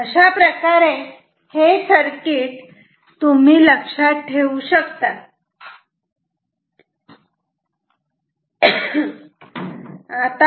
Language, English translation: Marathi, So, this is how to remember the circuit